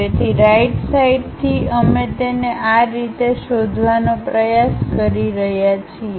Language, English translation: Gujarati, So, from rightward direction we are trying to locate it in this way